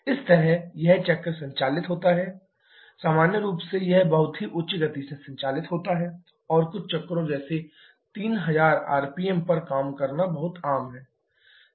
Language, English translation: Hindi, So, this way the cycle keeps on operating generally it operates at a very high speed is very common to have cycles operating at something like 3000 rpm